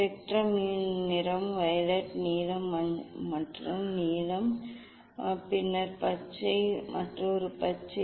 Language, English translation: Tamil, colour of spectrum is violet, blue, another blue, then green, then another green